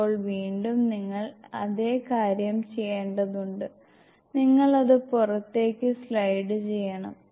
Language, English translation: Malayalam, Now again you have to do the same thing, you have to slide it outside